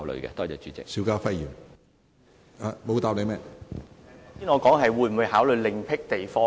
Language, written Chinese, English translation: Cantonese, 主席，我剛才的補充質詢是問會否考慮另闢地方......, President my supplementary question was about whether the authorities will consider identifying another